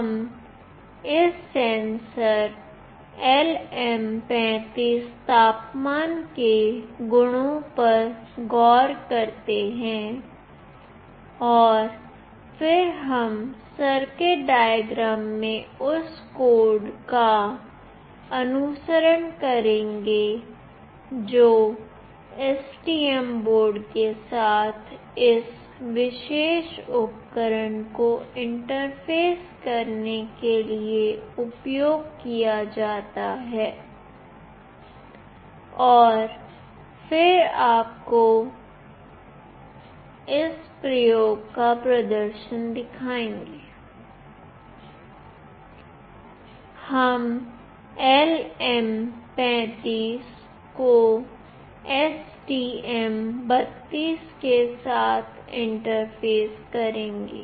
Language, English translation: Hindi, We look into the properties of this LM35 temperature sensor and then we will look into the circuit diagram followed by the code that is used to interface this particular device with STM board, and then will show you the demonstration of this experiment